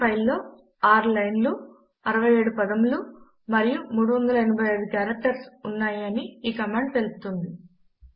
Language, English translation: Telugu, The command points out that the file has 6 lines, 67 words and 385 characters